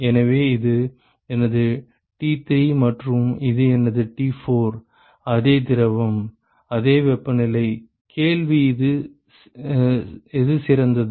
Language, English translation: Tamil, So, this is my T3 and this is my T4; same fluid, same temperatures, question is which one is better